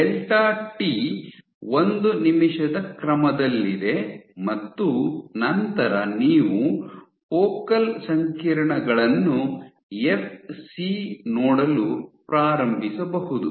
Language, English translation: Kannada, So, delta t is order one minute you can begin to see focal complexes